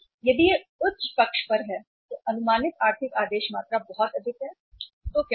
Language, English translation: Hindi, If it is on the higher side, estimated economic order quantity is very high so what will happen